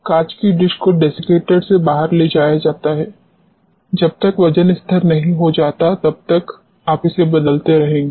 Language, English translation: Hindi, The glass dish is taken out of the desiccator, you keep on weighing it replacing it unless the weighed becomes constant